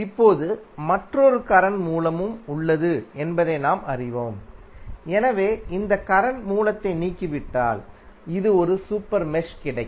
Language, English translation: Tamil, Now, we know that there is another current source, so if you remove this current source you will get one super mesh as this one, right